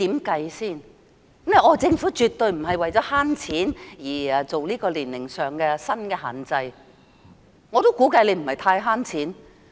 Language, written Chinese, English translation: Cantonese, 她說政府絕對不是為了省錢而更改年齡限制，我亦估計此舉不能節省很多錢。, She said the Government is definitely not changing the age requirement to save money . I also reckon that they cannot save a lot of money by adopting such a policy